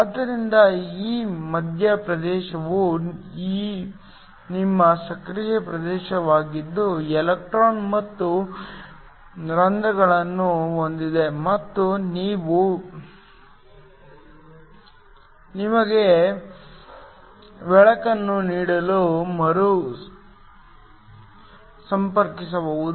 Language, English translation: Kannada, So, that this central region is your active region have electron and holes and these can recombine to give you light